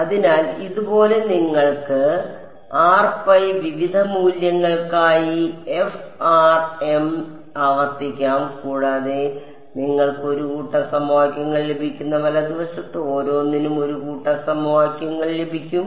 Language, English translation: Malayalam, So, like this you can repeat it for various values of r m and you will get a set of equations for every f of r m on the right hand side you get a set of equations